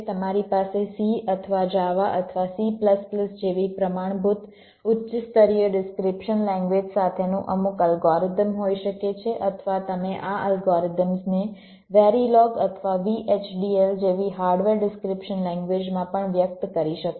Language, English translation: Gujarati, you can have some algorithm with description written in a standard high level language like c or java or c plus plus, or you can also express this algorithms in the hardware description languages like verilog or v, h, d, l